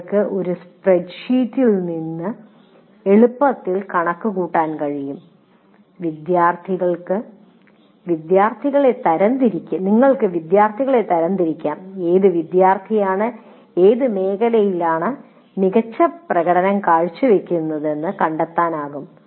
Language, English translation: Malayalam, If you put in a spreadsheet and you can easily compute all aspects of all kinds of things, you can classify students, you can find out which student is performing in what area well and so on